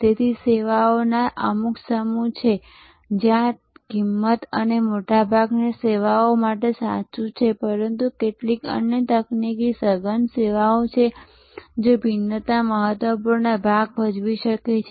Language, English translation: Gujarati, So, there are certain sets of services, where cost and this is true for most services, but there are certain other technology intensive services, were differentiation can play an important part